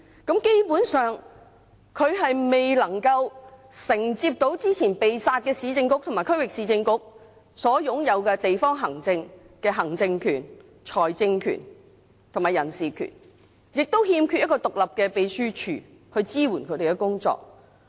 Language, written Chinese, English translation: Cantonese, 基本上，它未能夠承接到之前"被殺"的市政局和區域市政局所擁有的地方行政權、財政權和人事權，亦欠缺一個獨立的秘書處去支援它們的工作。, Basically they could not inherit the district administrative power financial power and staff management power held by the Urban Council and Regional Council before they were scrapped while also lacking an independent secretariat to support their work